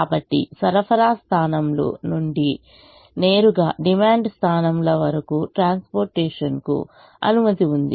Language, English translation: Telugu, so transportation is permitted from supply points to demand points directly